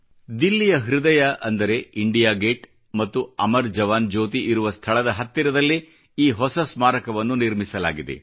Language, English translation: Kannada, This new memorial has been instituted in the heart of Delhi, in close vicinity of India Gate and Amar JawanJyoti